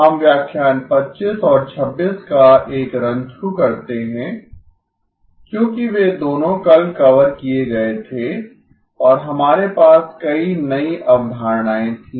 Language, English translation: Hindi, We will do a run through of lecture 25 and 26 because those were both covered yesterday and we had a number of new concepts